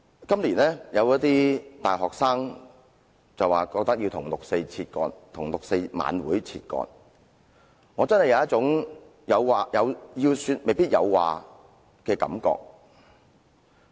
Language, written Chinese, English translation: Cantonese, 今年，有一些大學生覺得要與六四晚會分割，我因而真的有一種"要說未必有話"的感覺。, This year some university students feel that they should detach themselves from the 4 June vigil . This really gives me a feeling of speechlessness despite all my emotions